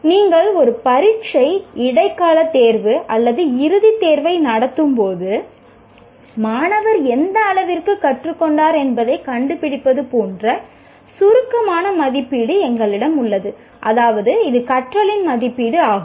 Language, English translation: Tamil, And you have summative assessment like when you conduct an examination, mid term exam or final examination, you are finding out to what extent the student has learned